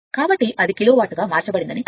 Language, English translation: Telugu, So, that means it is converted kilo watt